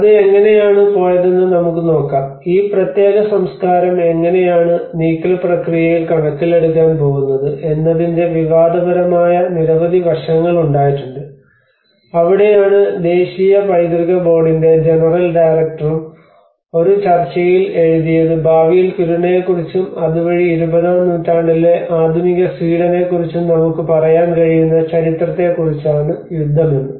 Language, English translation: Malayalam, Let us see how it went, and there have been a lot of the controversial aspects of how this particular culture has going to be taken into account in the move process so that is where even the general director of national heritage board also wrote in a debate article that you know the battle is about which history we will be able to tell about Kiruna in the future and thereby about the modern Sweden of 20th century right